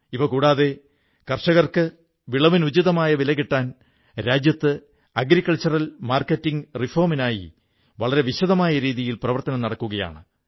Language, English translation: Malayalam, Moreover, an extensive exercise on agricultural reforms is being undertaken across the country in order to ensure that our farmers get a fair price for their crop